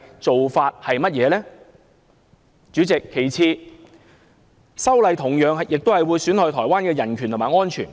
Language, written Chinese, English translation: Cantonese, 主席，其次，修例也會損害台灣的人權及安全。, President my second point is that the amendment is detrimental to the human rights and security of Taiwan